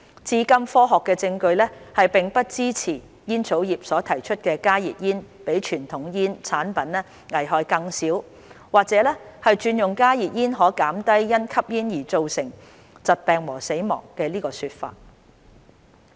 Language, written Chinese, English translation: Cantonese, 至今科學證據並不支持煙草業所提出"加熱煙比傳統煙草產品危害更小"或者"轉用加熱煙可減低因吸煙而造成的疾病和死亡"的說法。, Scientific evidence to date does not support the tobacco industrys claim that HTPs are less harmful than conventional tobacco products or that switching to HTPs reduces smoking - related illness and death